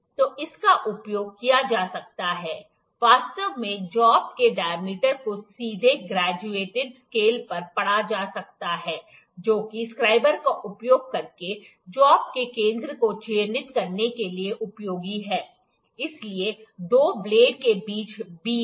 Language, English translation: Hindi, So, it can be used actually the diameter of job can be directly read on the graduated scale, which is useful for marking the center of the job by using the scriber, so, the V between the two blades